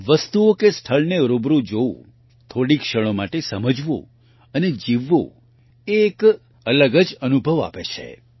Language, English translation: Gujarati, Seeing things or places in person, understanding and living them for a few moments, offers a different experience